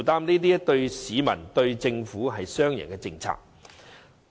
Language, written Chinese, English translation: Cantonese, 這對市民、對政府，均是雙贏的政策。, This is a win - win policy to the public and the Government